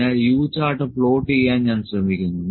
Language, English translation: Malayalam, So, I will try to plot the U chart as well, here U chart